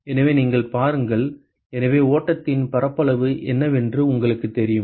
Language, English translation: Tamil, So, you look at the; so you know what is the area of area of flow